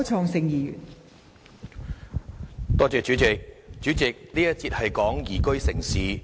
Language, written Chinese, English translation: Cantonese, 代理主席，這一節是有關宜居城市。, Deputy President this debate session is Liveable City